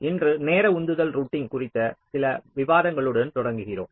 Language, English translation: Tamil, so today we start with some discussion on timing driven routing